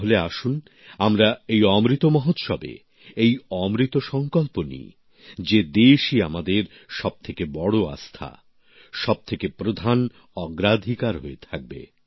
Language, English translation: Bengali, Come, on Amrit Mahotsav, let us make a sacred Amrit resolve that the country remains to be our highest faith; our topmost priority